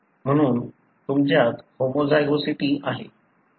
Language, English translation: Marathi, Therefore you have homozygosity